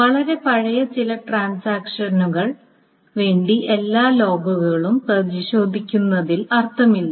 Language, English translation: Malayalam, Now, it doesn't make sense to go over all the logs for some very old transactions